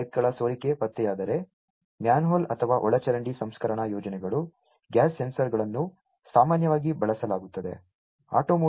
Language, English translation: Kannada, If leakage detection of LPG pipes, manhole or sewage treatments plans, gas sensors are commonly used